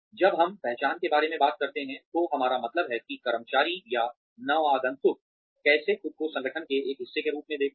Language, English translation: Hindi, When, we talk about identities, we mean, how the employee, or how the newcomer, sees herself or himself, as a part of the organization